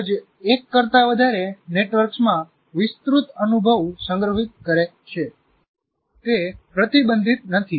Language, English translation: Gujarati, And brain stores an extended experience in more than one network